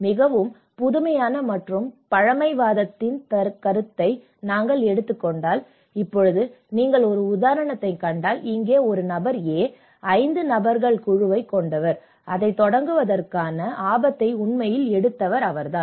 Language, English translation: Tamil, Now, if we take the perception of the most innovative and the conservative, if you see an example now, here a person A who have a group of 5 friends and he is the one who have actually taken the risk of starting it